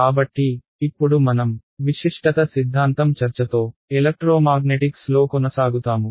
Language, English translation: Telugu, So, we will continue our discussion, now with the discussion of the Uniqueness Theorem in Electromagnetics